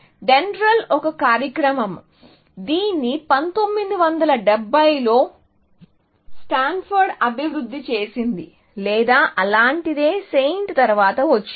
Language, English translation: Telugu, DENDRAL was a program; it was developed by Stanford in 1971 or something like that, came a bit after SAINT